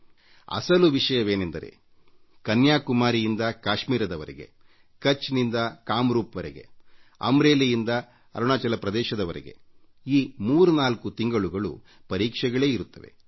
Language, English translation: Kannada, Actually from Kashmir to Kanyakumari and from Kutch to Kamrup and from Amreli to Arunachal Pradesh, these 34 months have examinations galore